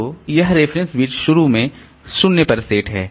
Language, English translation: Hindi, So, this reference bit is initially set to zero